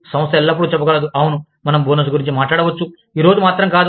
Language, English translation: Telugu, The organization, can always say that, yes, we can talk about, bonuses, just not today